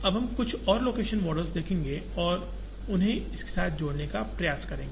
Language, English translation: Hindi, Now, we will see few more location models and try to link them with this